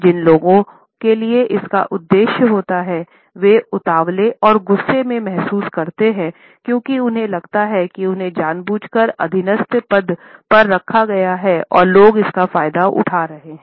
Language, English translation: Hindi, People towards whom it is aimed at, feel rather fidgety and annoyed, because they feel that they have been deliberately put in a subordinate position and people are taking advantage of it